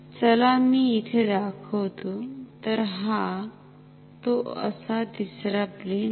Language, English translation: Marathi, So, this third plane is like this